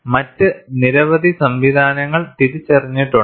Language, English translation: Malayalam, Several models have been proposed